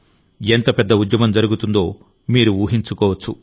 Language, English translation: Telugu, You can imagine how big the campaign is